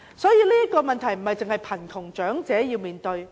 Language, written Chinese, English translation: Cantonese, 因此，這不單是貧窮長者要面對的問題。, Hence this is a problem not unique to the elderly living in poverty